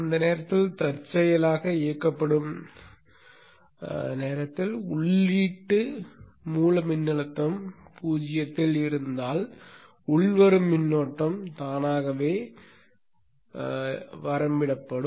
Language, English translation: Tamil, If by chance that at the point in time of turn on the input source voltage is at zero then the inrush current is anyway automatically limited